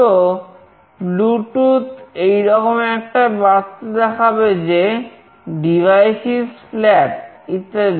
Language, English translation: Bengali, So, Bluetooth will display a text like the device is flat, etc